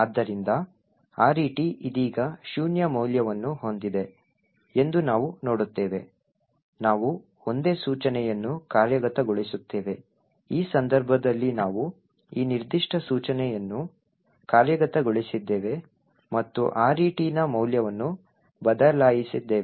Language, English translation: Kannada, So, we see that RET has a value of zero right now we will execute a single instruction in which case we have actually executed this particular instruction and changed the value of RET